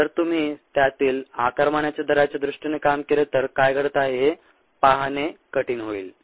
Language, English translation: Marathi, if you work in terms of volumes in, it becomes rather difficult to see what is happening, and so on